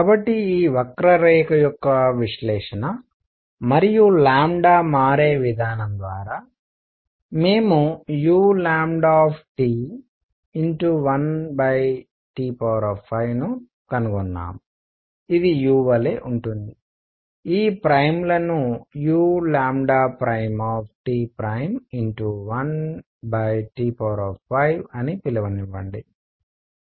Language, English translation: Telugu, So, through the analysis of this curve and the way lambda shifts, we have found that u lambda T over T raise to 5 is same as u, let me call this primes u lambda prime T prime over T prime raise to 5